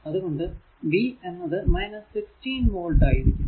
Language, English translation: Malayalam, So, v 2 is equal to minus 160 volt